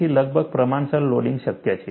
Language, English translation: Gujarati, So, nearly proportional loading is possible